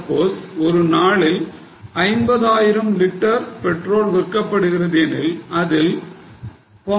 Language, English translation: Tamil, So, suppose 50,000 litres of petrol is sold in a day, it is known that 0